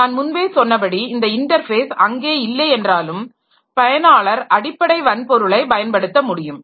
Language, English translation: Tamil, So, as I already said, even if this interface is not there, so if this intermediary is not there, then also an user can utilize the underlying hardware